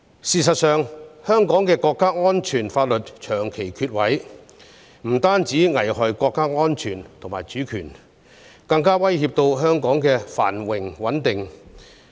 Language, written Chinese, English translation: Cantonese, 事實上，香港長期欠缺國家安全法律，這樣不但單會危害國家安全及主權，更會對香港的繁榮和穩定構成威脅。, In fact Hong Kong has long been in lack of national security laws . This has not only endangered national security and sovereignty of the State but also posed a threat to Hong Kongs prosperity and stability